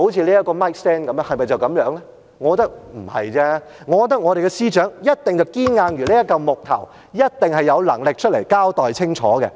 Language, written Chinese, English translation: Cantonese, 我認為不是，我覺得司長一定堅硬如這塊木頭，一定有能力出來交代清楚。, I do not think so . I think the Secretary must be as hardy as this block of wood . She must be able to come out and give a clear explanation